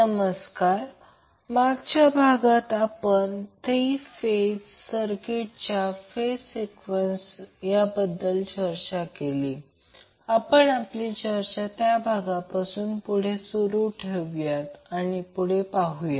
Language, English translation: Marathi, Namaskar, so in the last session we were discussing about the phase sequence of three phase circuit, so we will continue our discussion from that point onwards and let us see